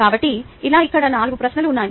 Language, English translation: Telugu, so like this, there are four questions here